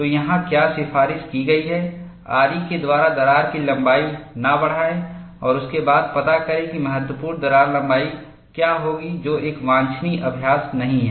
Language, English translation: Hindi, So, what is recommended here is, do not increase the length of the crack by sawing and then find the critical crack length, which is not a desirable practice